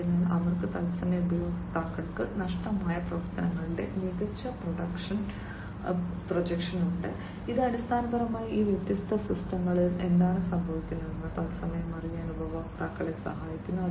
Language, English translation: Malayalam, So, they have smart projection of missing functionalities to customers in real time, which basically helps the customers to know in real time, what is happening with these different systems